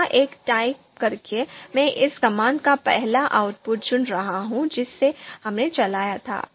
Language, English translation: Hindi, By typing one here, I am selecting the you know first output of you know this command that we ran